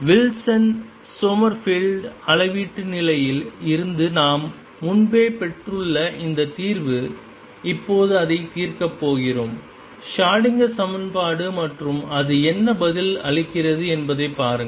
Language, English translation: Tamil, And this solution we have already obtain earlier from Wilson Summerfield quantization condition now we are going to solve it is Schrödinger equation and see what answer it gives